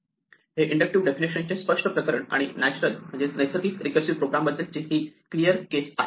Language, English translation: Marathi, Here is the clear case of an inductive definition that has a natural recursive program extracted from it